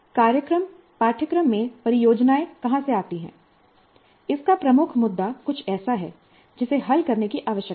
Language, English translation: Hindi, And the key issue of where do the projects come in the program curriculum is something which needs to be resolved